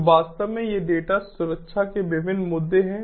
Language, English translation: Hindi, actually, these are the different issues of data security